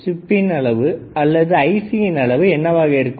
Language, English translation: Tamil, What is the size of the chip or size of this IC